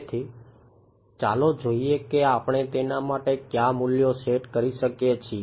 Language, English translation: Gujarati, So, let us see what values we can set for it ok